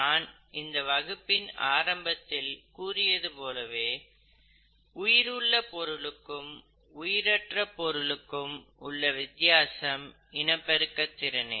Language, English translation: Tamil, But, as I told you in the initial part of my presentation, what sets apart life from the non living things is the ability to replicate